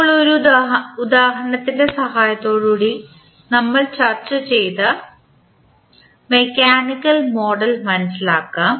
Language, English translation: Malayalam, Now, let us understand the model, mechanical model which we just discussed with the help of one example